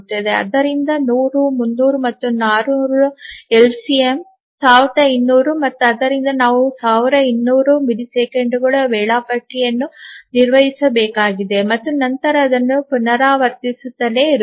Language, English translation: Kannada, So, 100, 200 and so sorry 100, 300 and 400 the LCM is 1200 and therefore we need to maintain the schedule for 1,200 milliseconds and then keep on repeating that